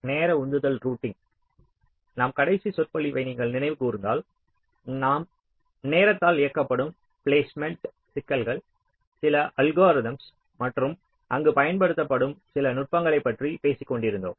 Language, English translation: Tamil, so, if you recall, in our last lecture we were talking about the timing driven placement issues, some algorithms and some techniques that are used there